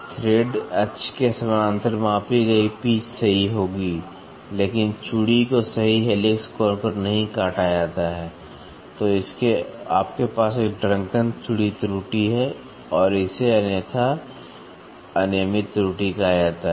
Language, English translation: Hindi, The pitch measured parallel to the thread axis will be correct, but the thread are not cut to the true helix angle, then you have a drunken thread error or it is otherwise called as irregular error